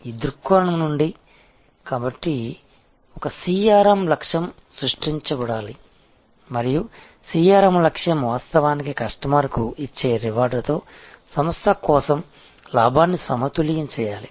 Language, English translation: Telugu, It is from this perspective therefore, a CRM objective should be created and CRM objective must actually balance the gain for the organization with the reward given to the customer